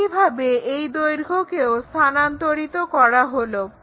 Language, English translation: Bengali, Similarly, transfer that length